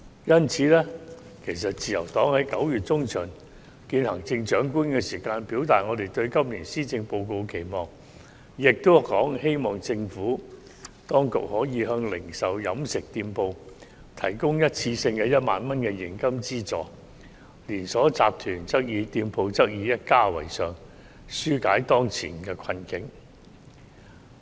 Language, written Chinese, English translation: Cantonese, 因此，自由黨在9月中旬會見行政長官時已表達我們對今年施政報告的期望，希望政府當局可以向零售和飲食店鋪提供一次性的1萬元現金資助，連鎖集團店鋪則以一家為上限，紓解當前的困境。, Therefore the Liberal Party has expressed its expectations for this years Policy Address at the meeting with the Chief Executive in mid - September . It is hoped that the Administration could offer retail and catering outlets a one - off cash allowance of 10,000 in order to alleviate their present difficulties